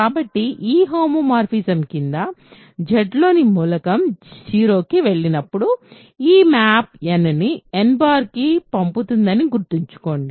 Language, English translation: Telugu, So, when does an element in Z go to 0 under this homomorphism, remember this map sends n to n bar right